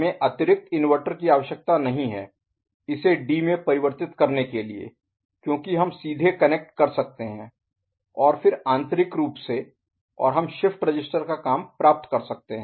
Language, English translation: Hindi, We do not need additional inverter, isn’t it, to convert it to D because directly we can connect and then internally and we can get the shift register action performed right ok